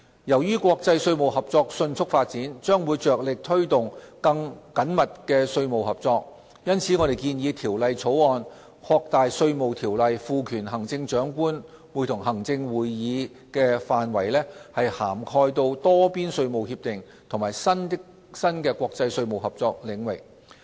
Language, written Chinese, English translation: Cantonese, 由於國際稅務合作迅速發展，將會着力推動更緊密的稅務合作，因此我們提出《條例草案》，擴大《稅務條例》賦權行政長官會同行政會議的範圍至涵蓋多邊稅務協定和新的國際稅務合作領域。, In light of the fast evolving international tax landscape emphasizing closer cooperation we introduced the Bill to widen the power of the Chief Executive in Council to cover multilateral tax agreements and new areas of international tax cooperation